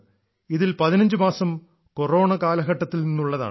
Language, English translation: Malayalam, Of these, 15 months were of the Corona period